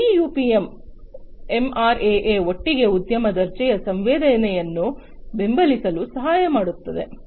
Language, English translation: Kannada, So, these UPM MRAA etc together they help in supporting industry grade sensing